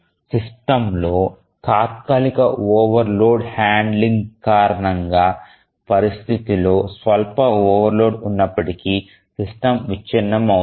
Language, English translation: Telugu, Transient overload handling even if there is a minor overload in the situation in the system then the system will break down